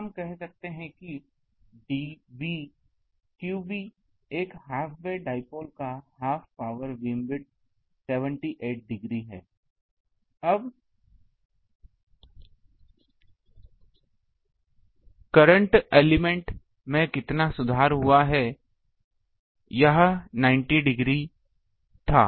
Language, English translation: Hindi, So, we can say that theta B the half power be move it of a half way dipole is 78 degree, now how much it improved for current element it was 90 degree